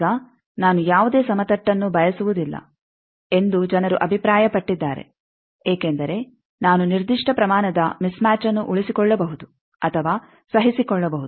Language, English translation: Kannada, Now, people have also saw that I do not want any flat because I can sustain or tolerate certain amount of mismatch